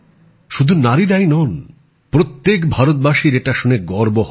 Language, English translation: Bengali, Not just that, every Indian will feel proud